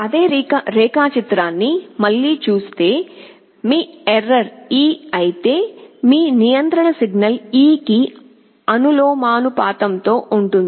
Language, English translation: Telugu, Looking into that same diagram again, if your error is e your control signal will be proportional to e